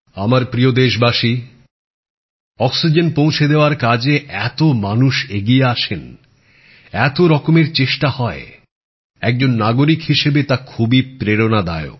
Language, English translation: Bengali, My dear countrymen, so many efforts were made in the country to distribute and provide oxygen, so many people came together that as a citizen, all these endeavors inspire you